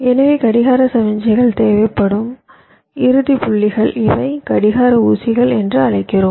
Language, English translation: Tamil, so these are the final points where the clock signals are required, the clock pins, i call them